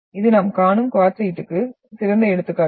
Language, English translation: Tamil, So this is one of the best example of quartzite which we see